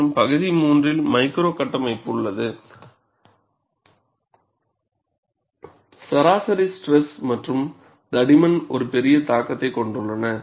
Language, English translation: Tamil, And in region 3, micro structure, mean stress and thickness have a large influence